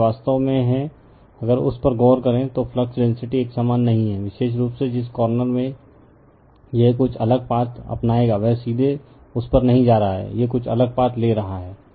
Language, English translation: Hindi, So, it is actually if you look into that, the flux density is not uniform right, the particular the corner it will taking some different path, not directly going from this to that right, it is taking some different path